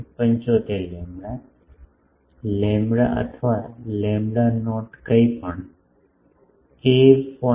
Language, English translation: Gujarati, 75 lambda, lambda or lambda not whatever, a is 0